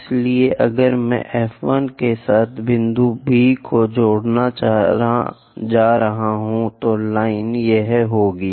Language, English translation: Hindi, So, if I am going to connect point B with F 1, the line will be this one